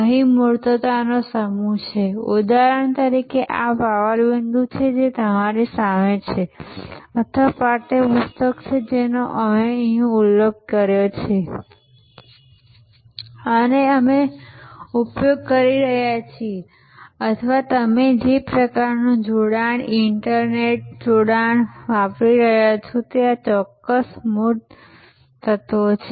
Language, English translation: Gujarati, There is a bunch of tangible here, there is some like for example, this PowerPoint which is in front of you or the text book that we have referred and we are using or the kind of connection, internet connection that you are using, these are certain tangible elements